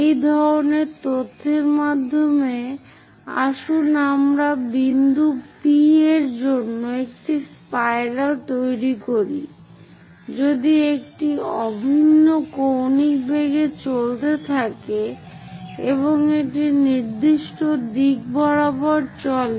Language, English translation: Bengali, With this kind of data let us construct a spiral for point P if it is moving in uniform angular velocity and also moves along a particular direction